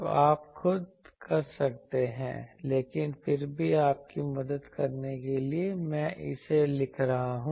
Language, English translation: Hindi, So, you can do yourself, but still for helping you I am writing it